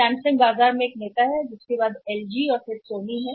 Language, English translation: Hindi, Samsung is a leader in the market followed by LG and then Sony